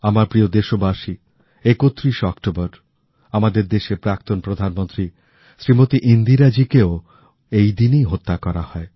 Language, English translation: Bengali, My dear countrymen, on 31st October, on the same day… the former Prime Minister of our country Smt Indira ji was assasinated